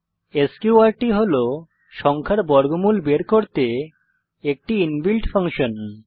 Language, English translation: Bengali, sqrt is an inbuilt function to find square root of a number